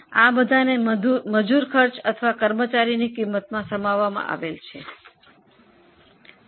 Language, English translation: Gujarati, All this is included in the labour cost or employee cost